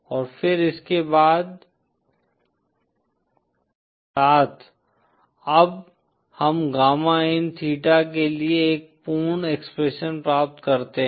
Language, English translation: Hindi, And then with this we now obtain a complete expression for gamma in theta